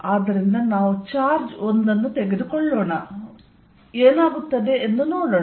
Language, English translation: Kannada, So, let us take the charge 1 and see what happens